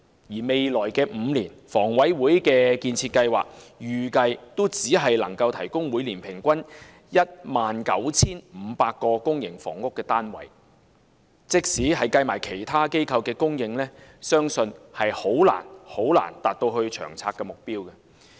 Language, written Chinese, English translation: Cantonese, 而在未來5年，房委會的建設計劃預計只能每年提供平均 19,500 個公營房屋單位，即使加上其他機構的供應，相信也難以達到《長策》的目標。, In the next five years HA expects to provide an average of 19 500 public housing units annually . Even with the supply by other organizations included the target in LTHS will be hard to meet